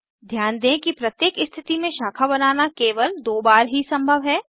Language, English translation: Hindi, Note that branching is possible only twice at each position